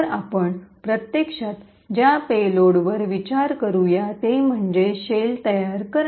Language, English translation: Marathi, So, the payload that we will actually consider is to create a shell